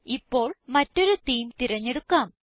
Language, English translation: Malayalam, Now let us choose another theme